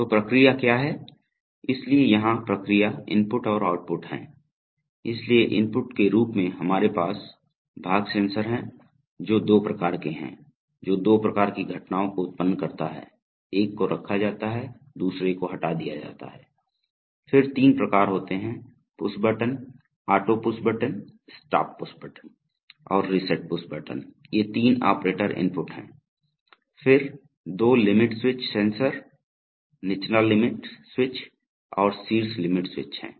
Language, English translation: Hindi, So what are the process, so here are the process inputs and outputs, so as inputs we have part sensors which gives two kinds of, which generates two kinds of events, one is part placed, another this part removed then there are three kinds of push button, the auto push button, the stop push button and the reset push button, these three are operator inputs, then there are the two limit switch sensors, bottom limit switch and top limit switch